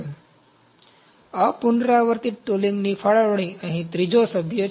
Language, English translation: Gujarati, So, the allocation of non recurring tooling is the 3rd member here